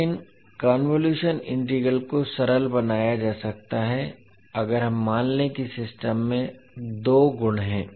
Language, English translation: Hindi, But the convolution integral can be simplified if we assume that the system has two properties